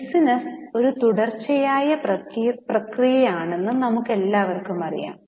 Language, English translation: Malayalam, We all know that the business is a continuous process